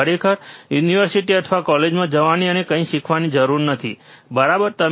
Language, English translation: Gujarati, You do not really required to go to the university go to the or college and learn something, right